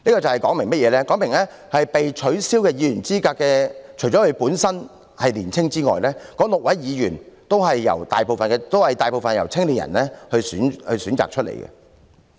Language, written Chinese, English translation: Cantonese, 說明被取消議員資格的議員，除了本身是年青人外，該6名議員大部分也是由青年人選舉出來的。, It tells us that most of the six disqualified Members apart from being young people themselves were also elected by young people